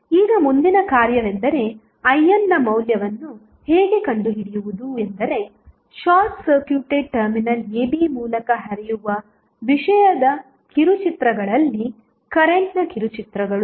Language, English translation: Kannada, Now, the next task is how to find out the value of I n that means the shorts of current across the shorts of content flowing through the short circuited terminal AB